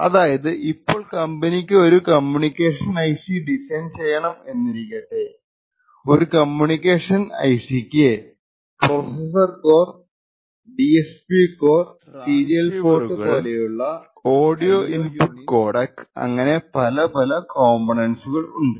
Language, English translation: Malayalam, So for instance we have a company which wants to actually design say a communication IC and the communication IC would have several components like a processor core, it may have a DSP core, it may have several IO units like a serial port it, may have various other transceivers, it may have audio input codecs and so on